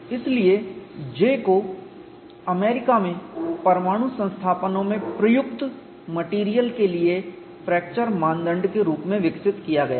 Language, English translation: Hindi, So, J is developed in the USA as a fracture criterion for materials used in nuclear installations